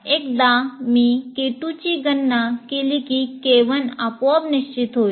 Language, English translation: Marathi, And once I compute K2, K1 is automatically decided